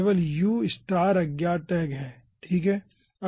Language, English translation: Hindi, only unknown tag is u star